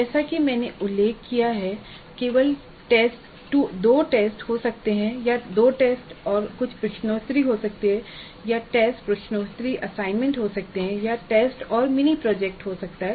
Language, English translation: Hindi, As I mentioned there can be only two tests or there can be two tests and certain quizzes or there can be tests, quizzes, assignments or there can be tests, then a mini project